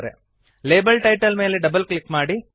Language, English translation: Kannada, Double click on the label title